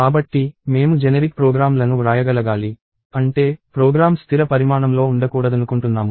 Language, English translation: Telugu, So, we want to be able to write generic programs; which means, I do not want a program to be of fixed size